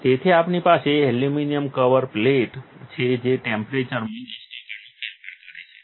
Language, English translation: Gujarati, So, we have an aluminum cover plate that is changing the temperature by a 10 percent